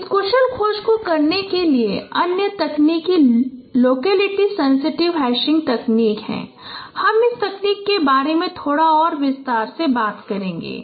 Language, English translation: Hindi, The other technique for performing this efficient search is locality sensitive hashing technique and I would also elaborate a bit more about this technique